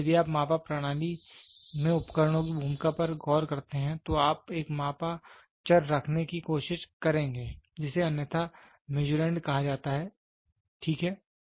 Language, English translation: Hindi, So, if you look into the role of instruments in measured system, you will try to have a measured variable which is otherwise called as Measurand, ok